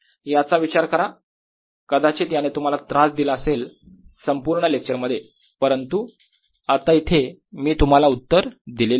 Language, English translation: Marathi, it may have bothered you throughout the lecture, but now i have given you the answer